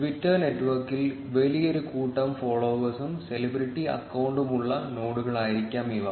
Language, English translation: Malayalam, These are probably the nodes which have large number of followers and which has celebrity accounts in the twitter network